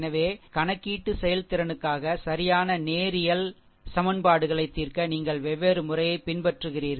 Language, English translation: Tamil, So, you follow different method to solve such linear equations, right for computational efficiency